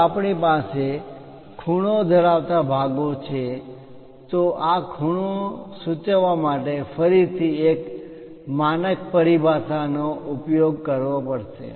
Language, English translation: Gujarati, If we have angles inclined portions, again one has to use a standard terminology to denote this angles